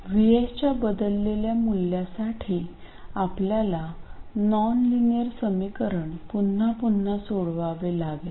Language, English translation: Marathi, So, for a changed value of VS, we had to solve the nonlinear equation all over again